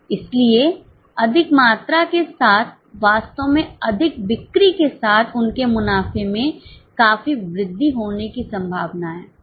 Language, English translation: Hindi, So, with more volumes, that is with more sales, actually their profits are likely to increase substantially